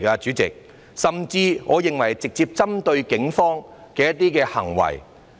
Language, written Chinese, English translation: Cantonese, 主席，我甚至認為這些是直接針對警方的行為。, President I even believe that such behaviour was directly targeted at the Police